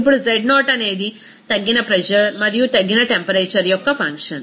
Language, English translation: Telugu, Now z0 is a function of reduced pressure and reduced temperature